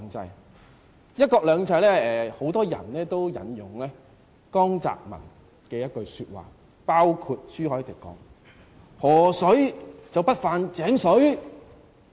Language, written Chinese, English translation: Cantonese, 有關"一國兩制"，很多人也引用江澤民的一句說話——包括朱凱廸議員——河水不犯井水。, Many Members―including Mr CHU Hoi - dick―have used River water does not interfere with well water a saying said by JIANG Zemin when they talked about one country two systems